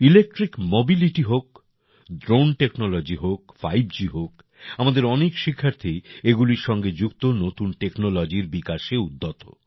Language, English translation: Bengali, Be it electric mobility, drone technology, 5G, many of our students are engaged in developing new technology related to them